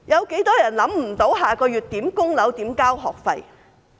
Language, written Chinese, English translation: Cantonese, 有多少人不知道下個月如何供樓、如何交學費？, How many people do not have the means to pay mortgage or tuition fees next month?